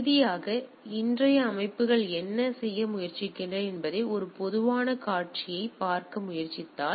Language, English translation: Tamil, And finally, if we try to look at a typical scenario that what today’s systems tries to do